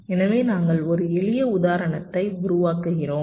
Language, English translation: Tamil, so we shall be working out a simple example